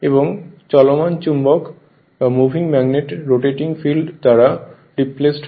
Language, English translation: Bengali, And the moving magnet is replaced by rotating field